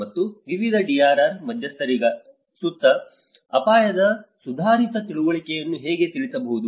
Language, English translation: Kannada, And how can an improved understanding of risk be communicated around varying DRR stakeholders